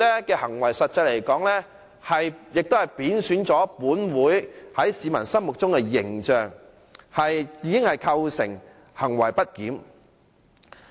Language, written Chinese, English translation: Cantonese, 因此，實際上，他的行為貶損了立法會在市民心中的形象，已經構成行為不檢。, So his conduct has in effect derogated the image of the Legislative Council in the community which already constitutes misbehaviour